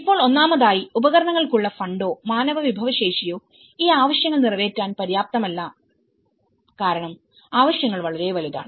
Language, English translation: Malayalam, Now, first of all, neither funding nor the human resource for equipments are not adequate to meet these needs because the needs are very vast